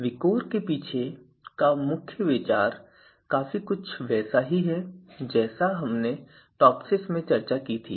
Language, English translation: Hindi, Then the main idea behind the VIKOR is quite similar to what we discussed in TOPSIS